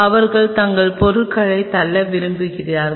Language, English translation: Tamil, They just wanted to push their stuff